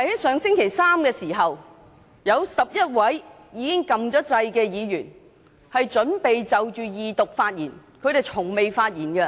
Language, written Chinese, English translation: Cantonese, 上星期三，有11位議員已經按下"要求發言"按鈕，準備就二讀發言，而他們是從未發言......, Last Wednesday 11 Members already pressed the Request to speak button ready to speak on the Second Reading and they had never spoken